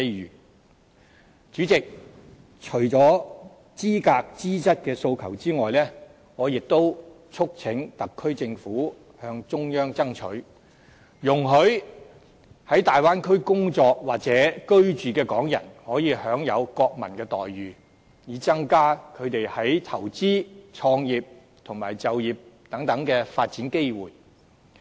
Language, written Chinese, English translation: Cantonese, 代理主席，除了資格、資質的訴求外，我亦促請特區政府向中央爭取，容許在大灣區工作或居住的港人可以享有國民的待遇，以增加他們在投資、創業及就業等發展機會。, Deputy President in addition to the aspiration concerning qualifications I also urge the SAR Government to strive for national treatment for those Hong Kong people working or living in the Bay Area from the central authorities with a view to increasing their development opportunities in investment business establishment and employment